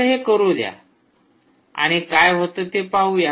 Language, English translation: Marathi, so lets do that and see what actually happens